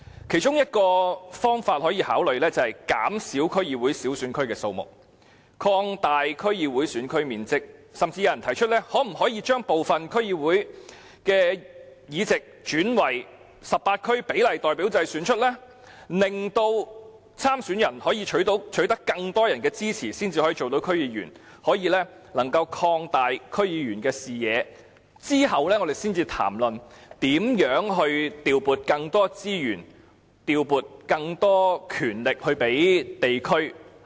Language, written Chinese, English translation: Cantonese, 其中一個可以考慮的方法，是減少區議會小選區的數目，擴大區議會選區面積，甚至有人提出將部分區議會的議席轉為由18區比例代表制產生，令參選人須取得更多人的支持才能成為區議員，擴大區議員的視野，在此以後才談論如何調撥更多資源和權力予地區議會。, One of the considerations is to reduce the number of small DC constituencies and expand the size of DC constituencies . Some people have even proposed that the number of some DC seats be returned by a proportional representation system covering all the 18 districts so that the candidates must secure more support in order to become DC members thereby broadening their horizons . And then discussions can be opened on ways to allocate more resources to and confer more powers on local councils